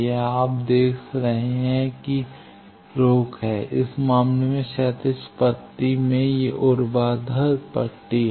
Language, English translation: Hindi, This you see the blocking is in the horizontal strips in this case these are vertical strips